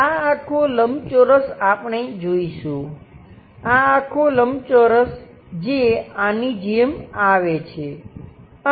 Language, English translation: Gujarati, This entire rectangle we will see, this entire rectangle that comes out like that